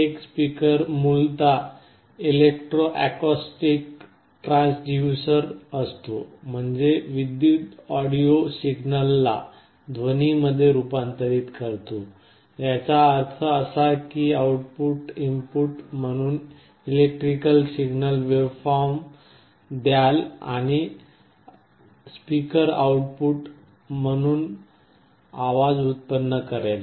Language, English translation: Marathi, A speaker essentially an electro acoustic transducer, which means is converts an electrical audio signal into a corresponding sound; that means, you give an electrical signal waveform as the input and the speaker will generate a sound as the output